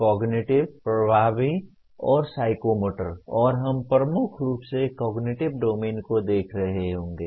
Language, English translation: Hindi, Cognitive, Affective, and Psychomotor and we dominantly will be looking at cognitive domain